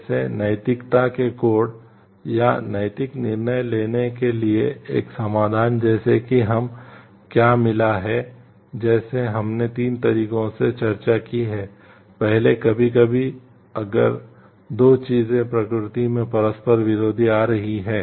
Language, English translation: Hindi, Like, codes of ethics or a solution for ethical decision making like, what we are found like the what we have discussed in the 3 ways is first sometimes if 2 things are coming in conflicting in nature